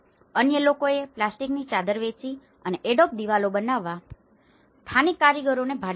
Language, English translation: Gujarati, Others sold a plastic sheeting and hired the local artisans to build adobe walls